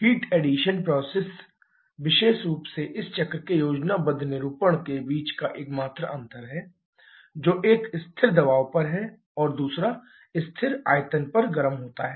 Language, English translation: Hindi, That particular heat addition process is the only difference between the schematic representation of this cycles that is one with heated at constant volume other at constant pressure